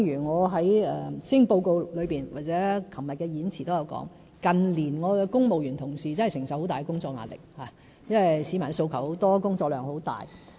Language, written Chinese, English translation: Cantonese, 我在施政報告裏或昨天的演辭中都有提及，近年我的公務員同事承受很大工作壓力，因為市民訴求很多，工作量很大。, As mentioned in the Policy Address or my speech yesterday my Civil Service colleagues have been subjected to tremendous work pressure in recent years because their workload has greatly increased due to various aspirations from the public